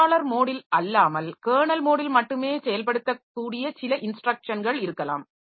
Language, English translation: Tamil, There may be certain set of instructions that can be executed only in the kernel mode and not in the user mode